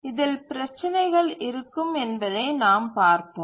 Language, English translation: Tamil, It will have problems as you will see